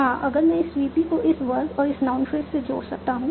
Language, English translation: Hindi, If I can attach this VP to this verb and this knowledge